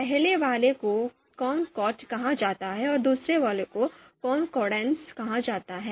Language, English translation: Hindi, So first one is called concordance and the second one is called discordance